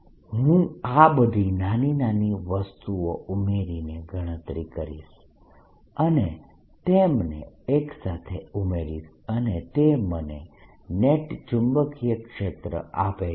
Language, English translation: Gujarati, i'll calculate, add all these small small things and add them together and that gives me the [neck/net] net magnetic field